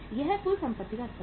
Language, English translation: Hindi, So what is the level of total assets